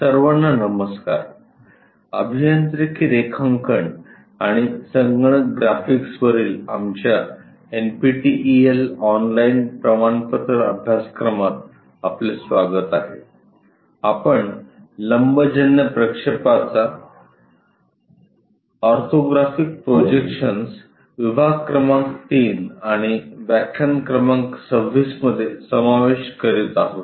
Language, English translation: Marathi, Hello all, welcome to our NPTEL online certification courses on Engineering Drawing and Computer Graphics, we are covering Module number 3 and Lecture number 26 on Orthographic Projections